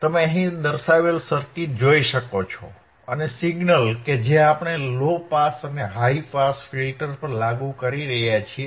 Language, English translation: Gujarati, You can see the circuit which is shown here, circuit which is shown here right and the signal that we are applying is to the low pass and high pass filter you can see here correct